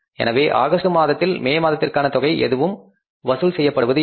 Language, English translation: Tamil, So, now nothing will be collected for May sales in the month of August